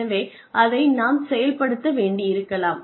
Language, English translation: Tamil, So, that may need to be enforced